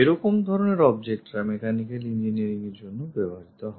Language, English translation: Bengali, Such kind of objects exist for mechanical engineering